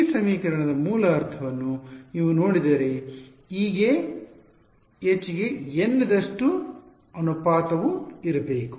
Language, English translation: Kannada, if you look at the basic meaning of this equation is that the ratio of E to H should be eta that is all